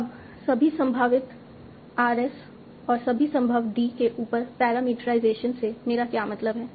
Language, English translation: Hindi, Now what do I mean my parameterization over all possible RS and all possible D